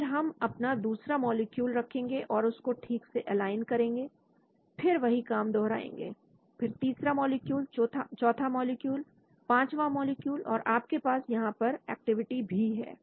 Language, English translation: Hindi, then you will keep the second molecule, align it properly and then you do the same thing here, then third molecule, fourth molecule, fifth molecule